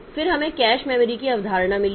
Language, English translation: Hindi, Then we have got the concept of cache memory